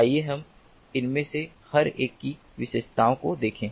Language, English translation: Hindi, let us look at the features of each of these one by one